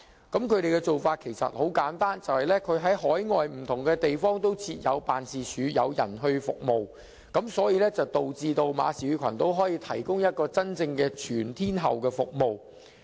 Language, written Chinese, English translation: Cantonese, 他們的做法很簡單，就是在海外不同地方設有辦事處，派人提供服務，令馬紹爾群島可以提供真正全天候的服務。, Their practice is simple . They have set up overseas offices in different places and deployed personnel to provide services . Therefore the Marshall Islands can provide truly around - the - clock services